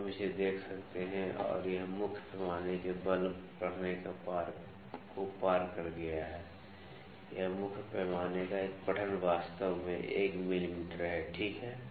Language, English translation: Hindi, So, we can see it and it has exceeded the force reading of the main scale this one reading of the main scale is actually 1 mm, ok